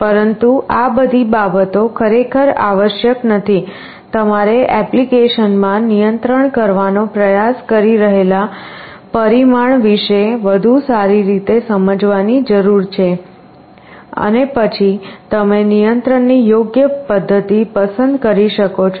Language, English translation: Gujarati, But all these things are really not required, you need to understand better about the parameter you are trying to control in an application and then you can select an appropriate method of control